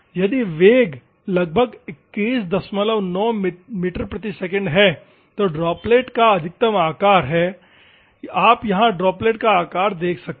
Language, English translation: Hindi, 9 meter per second, the maximum size of the droplet, you can see the droplet size